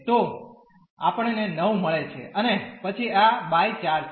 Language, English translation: Gujarati, So, we get 9 and then this is by 4